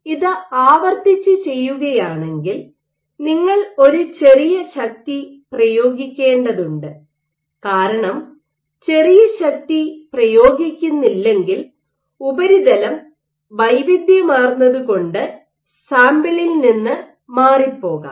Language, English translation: Malayalam, So, if you are doing this repeatedly you have to exert a small force because if you do not exert little force then, what happens is just due to surface heterogeneity you might have be dislodged from the sample